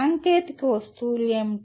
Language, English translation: Telugu, What are the technical objects